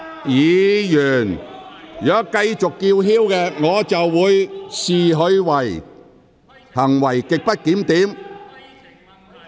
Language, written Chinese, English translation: Cantonese, 議員如繼續叫喊，我會視之為行為極不檢點。, If Members continue yelling I will regard such conduct as grossly disorderly